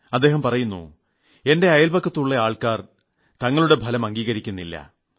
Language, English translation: Malayalam, He says that the people around him just don't accept the results